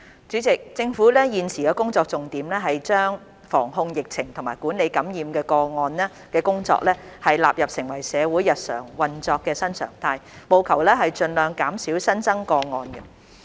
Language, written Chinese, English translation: Cantonese, 主席，政府現時的工作重點是把防控疫情和管理感染的工作納入成為社會日常運作的新常態，務求盡量減少新增個案。, President the Governments priority at the moment is to incorporate disease prevention and control and infection management into the new normal of the day - to - day operation of society with an aim to minimizing new cases as far as possible